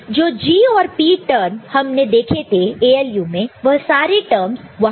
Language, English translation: Hindi, And, the G and P term we had seen in the ALU that these are the terms that are there